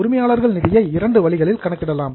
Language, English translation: Tamil, So, owner's fund can be calculated by two ways